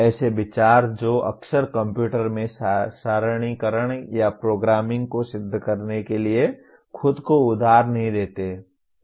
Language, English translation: Hindi, Considerations that frequently do not lend themselves to theorizing tabulation or programming into a computer